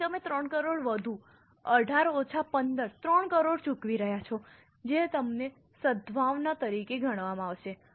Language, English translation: Gujarati, So, you are paying 3 crore more, 18 minus 15, 3 crore more which you have paid will be considered as goodwill